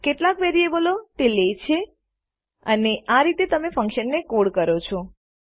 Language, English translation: Gujarati, How many variables it takes and this is how you code your function So, lets test that